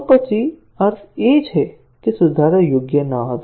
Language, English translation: Gujarati, So, then, the meaning is that, the fix was not proper